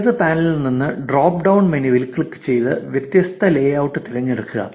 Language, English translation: Malayalam, From the left panel click on the drop down menu and choose the different layout